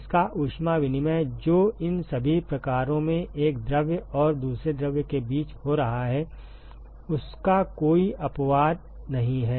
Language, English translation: Hindi, Its heat exchange which is happening between one fluid and another fluid in all these types there is no exception to that